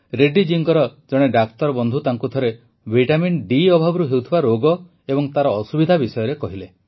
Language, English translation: Odia, A doctor friend of Reddy ji once told him about the diseases caused by deficiency of vitamin D and the dangers thereof